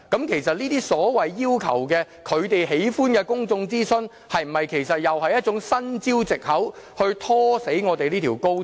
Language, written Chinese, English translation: Cantonese, 其實這些所謂要求的，他們喜歡的公眾諮詢，是否一種新招數和藉口以拖死這條高鐵？, Actually will the request for the co - called preferred form of public consultation merely a new tactic or pretext to scuttle the XRL project?